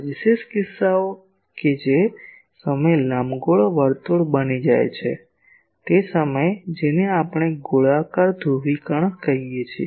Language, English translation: Gujarati, Special cases of that sometimes this ellipse becomes a circle that time we called it is a circular polarisation